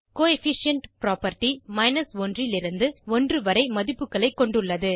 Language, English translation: Tamil, Coefficient property has values from 1.00 to 1.00